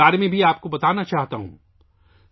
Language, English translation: Urdu, I want to tell you about this too